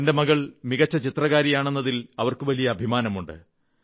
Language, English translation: Malayalam, She is proud of her daughter's excellent painting ability